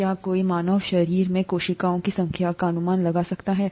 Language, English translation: Hindi, Can anybody guess the number of cells in the human body